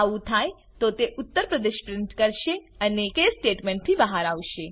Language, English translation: Gujarati, If it is so, it will print out Uttar Pradesh and exit the case statement